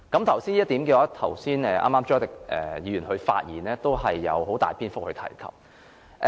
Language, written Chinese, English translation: Cantonese, 就這一點，剛才朱凱廸議員發言時也有很大篇幅提及過。, Mr CHU Hoi - dick has already devoted most of his speech on this area